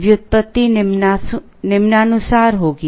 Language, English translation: Hindi, The derivation will be as follows